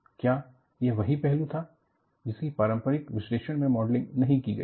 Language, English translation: Hindi, What aspect was it, not model in the conventional analysis